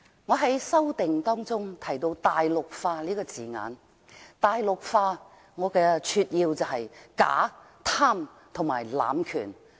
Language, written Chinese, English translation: Cantonese, 我在修正案中提到"大陸化"這個字眼，我把"大陸化"定義為假、貪和濫權。, I used the word Mainlandization in my amendment and I defined Mainlandization as fake greedy and abuse of power